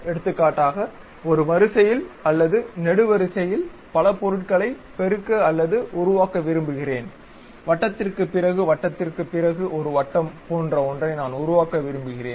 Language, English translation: Tamil, For example, I want to multiply or produce many objects in a row or column; something like circle after circle after circle I would like to construct